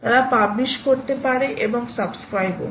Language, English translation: Bengali, they can be publishing and they can also subscribe